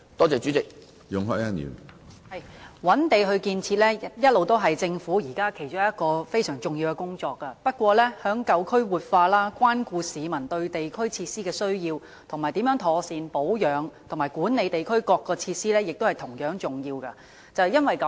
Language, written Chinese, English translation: Cantonese, 主席，覓地進行建設是政府其中一項重要工作，但舊區活化、關顧市民對地區設施的需要，以及妥善保養與管理各項地區設施也同樣重要。, President while identifying sites for construction is an important task of the Government it is also important to revitalize old districts take care of the publics need for district facilities and properly maintain and manage various district facilities